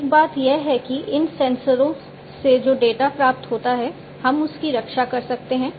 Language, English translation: Hindi, So, one thing is that the data that is received from these sensors, we can we have to protect it